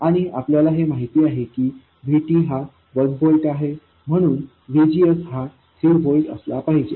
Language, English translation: Marathi, And we know that VT is 1 volt, so VGS has to be 3 volts